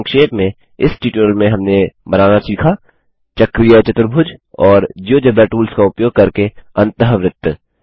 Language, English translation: Hindi, To Summarize In this tutorial we have learnt to construct cyclic quadrilateral and In circle using the Geogebra tools